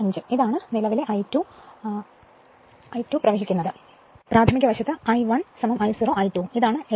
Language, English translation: Malayalam, 5 ohm and this is the current I 2 dash flowing in the your primary side and I 1 is equal to I 0 plus I 2 dash and this is that your 7